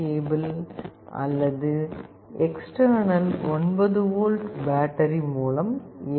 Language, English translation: Tamil, It can be powered by USB cable or by an external 9 volt battery